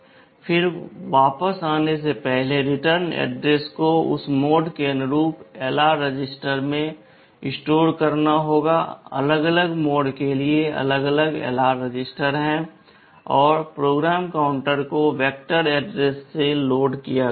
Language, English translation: Hindi, Then before coming back the return address will have to store in LR register corresponding to that mode, there are separate LR registers for the different modes and PC is loaded with the vector address